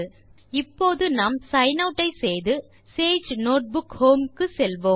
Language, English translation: Tamil, Now lets sign out and go to the sage notebook home